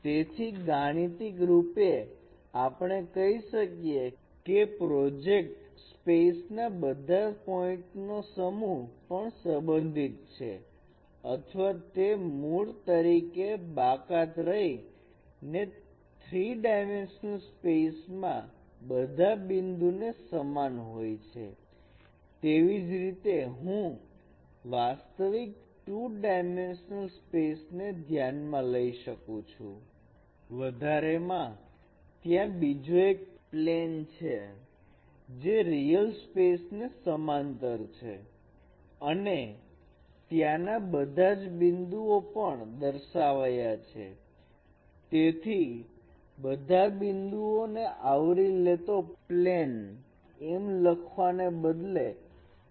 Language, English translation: Gujarati, So mathematically we can say the set of all points in a projective space is also related or they are equivalent to set of all points in the three dimensional real space excluding the origin as I mentioned earlier